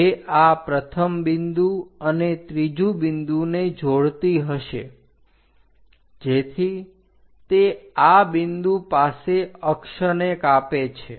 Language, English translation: Gujarati, So, which will be connecting this 1st point 3rd point, so it cuts the axis at this point